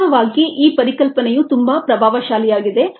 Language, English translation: Kannada, infact, this concept is very powerful ah